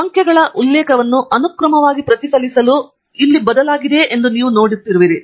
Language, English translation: Kannada, And you would see that the numbers have changed here to reflect the sequence of referencing